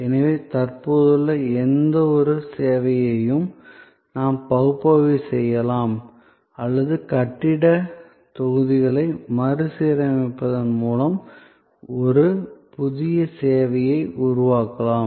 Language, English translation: Tamil, So, that we can analyze any existing service or we can create a new service by rearranging the building blocks